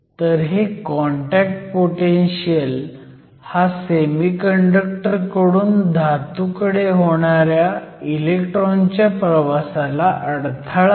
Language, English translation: Marathi, So, this contact potential represents the barrier for the electrons to move from the semiconductor to the metal